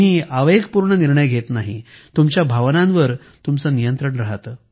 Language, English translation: Marathi, You don't make impulsive decisions; you are in control of your emotions